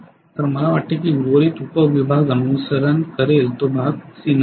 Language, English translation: Marathi, So I think rest of the sub division will follow it should not be, part C